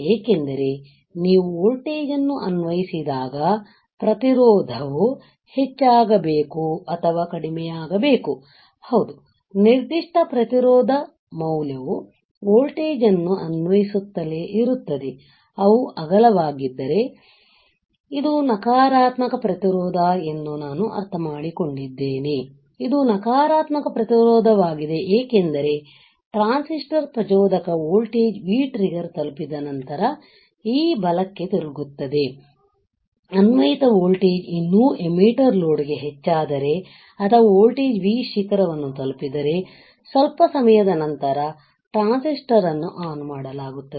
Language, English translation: Kannada, Because when you apply a voltage when you apply a voltage right the resistance should increase or decrease yes of course, particular resistance value right keep on applying voltage what will be the curve of I understand that if they are wide, this is negative resistance because after the transistor has reached the triggering voltage the V trigger, it is now turn on right the transistor is turned on after a while if the applied voltage still increases to the emitter load or lead it will pick out the voltage V peak it will reach here, right